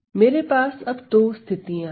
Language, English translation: Hindi, So, I need two boundary conditions